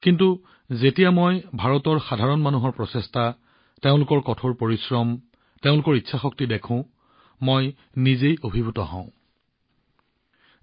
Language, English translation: Assamese, But when I see the efforts of the common man of India, the sheer hard work, the will power, I myself am moved